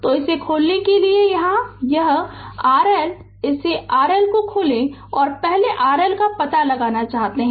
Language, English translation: Hindi, So, to get this open this R L open it R L and we want to find out R L first